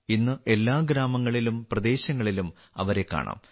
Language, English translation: Malayalam, Today they can be seen in every village and locality